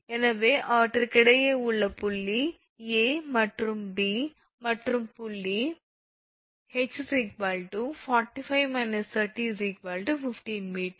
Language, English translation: Tamil, So, difference between them that point A and point P and point h 45 minus 30, so 15 meter